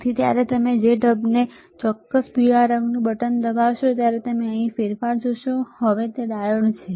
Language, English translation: Gujarati, So, when you press the mode this particular yellow colour button you will see the change here now it is diode